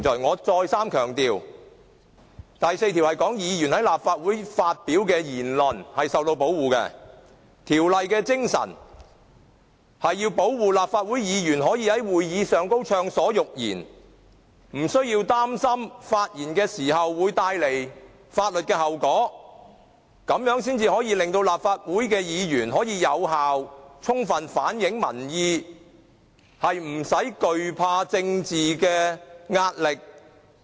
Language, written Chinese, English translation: Cantonese, "我再三強調，第4條說的是，議員在立法會發表的言論是受到保護的，條例的精神是要保護立法會議員可以在會議中暢所欲言，不需要擔心發言會帶來法律的後果，這樣才可以令到立法會議員能夠有效充分反映民意，不用懼怕政治壓力。, Let me stress once again that section 4 provides that speeches made by Members in the Council are protected . The spirit of this section is to offer protection to Members allowing them to make comments in the Council without restrictions or concerns about legal consequences . It is under such a condition that Members can be free from political pressure and thus be able to reflect public opinions effectively